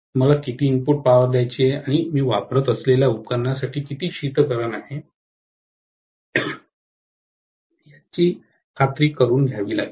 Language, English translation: Marathi, How much is the input power I have to give and how much of the cooling that I have to make sure that is available for the apparatus that I am using, right